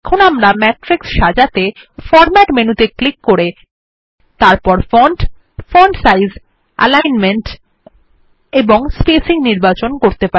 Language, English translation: Bengali, Now, we can format matrices by clicking on the Format menu and choosing the font, font sizes, alignment or the spacing